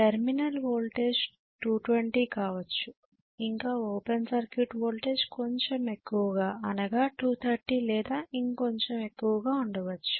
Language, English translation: Telugu, The terminal voltage is 220 may be the open circuit voltage can be as high as 230, slightly higher it can be right